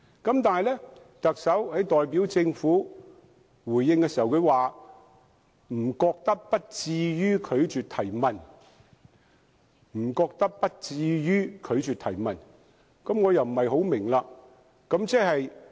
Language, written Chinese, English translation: Cantonese, 可是，特首代表政府回應時表示，他覺得不至於拒絕提問，我對此又不大明白。, But then when the Chief Executive made a reply on behalf of the Government he indicated that the Government should not go so far as to refuse to take questions . I am perplexed in this regard